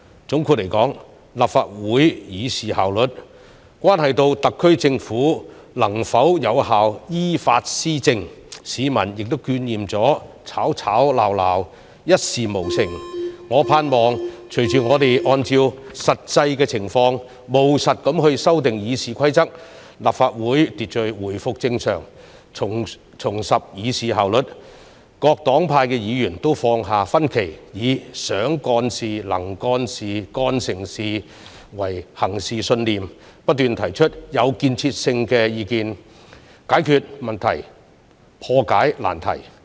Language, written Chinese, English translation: Cantonese, 總括而言，立法會議事效率關係到特區政府能否有效依法施政，市民亦厭倦議會吵吵鬧鬧，一事無成，我盼望隨着我們按照實際情況務實地修訂《議事規則》，立法會秩序回復正常，重拾議事效率，各黨派議員都放下分歧，以"想幹事、能幹事、幹成事"為行事信念，不斷提出具建設性的意見，解決問題、破解難題。, The public is tired of the bickering in the Council which has accomplished nothing . I hope that as we have amended the Rules of Procedure pragmatically according to the actual situation the order of the Council will return to normal and efficiency will be restored in the conduct of Council meetings . Members from various parties will put aside their differences put forward constructive opinions solve problems and overcome difficulties with the belief of willing to work and ready to deliver good results